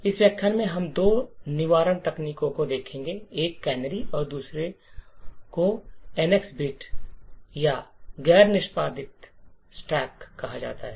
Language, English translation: Hindi, In this lecture we will look at two prevention techniques, one is called canaries while the other one is called the NX bit or the non executable stack